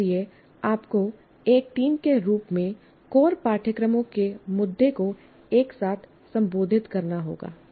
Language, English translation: Hindi, So you have to address the issue of core courses together as a team